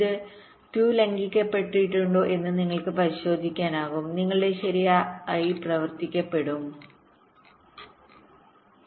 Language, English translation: Malayalam, you can check if this two are violated, your correct operation will be disturbed